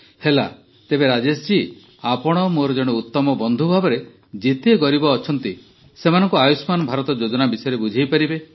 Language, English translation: Odia, So Rajesh ji, by becoming a good friend of mine, you can explain this Ayushman Bharat scheme to as many poor people as you can